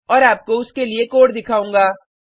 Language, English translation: Hindi, And show you the code for same